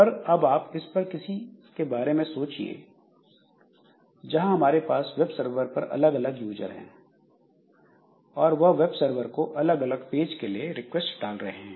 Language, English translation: Hindi, But consider the situation where I have got a web server and this web server so different users so they are sending requests to this web server for different pages